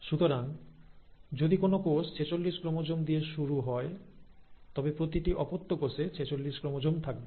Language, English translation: Bengali, So if a cell starts with forty six chromosomes, each daughter cell will end up having forty six chromosomes